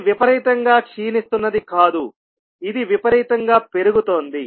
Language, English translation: Telugu, It is not exponentially decaying, it is a exponentially rising